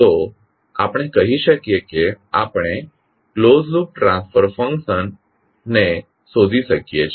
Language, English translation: Gujarati, So we can say, we can determined the closed loop transfer function